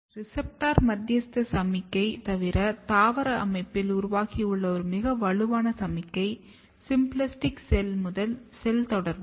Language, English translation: Tamil, Apart from the receptor mediated signaling, one very strong signaling which is evolved in the plant system, is symplastic cell to cell communication